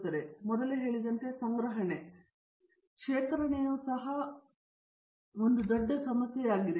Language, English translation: Kannada, Second thing as I told you before, the storage; storage also is a very big issue